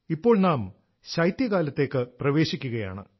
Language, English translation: Malayalam, We are now stepping into the winter season